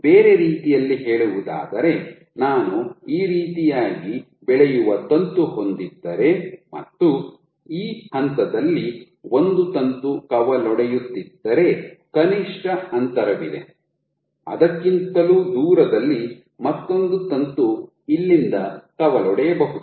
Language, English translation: Kannada, In other words, if I have a filament growing like this and a filament has branched at this point there is a minimum distance beyond which another filament can branch from here